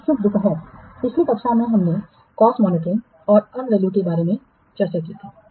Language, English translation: Hindi, Last class we have discussed about cost monitoring and monitoring and value